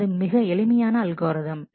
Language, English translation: Tamil, So, this is a very simple algorithm